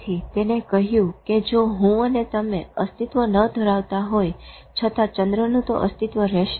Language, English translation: Gujarati, So he said even if I and you don't exist, moon will still exist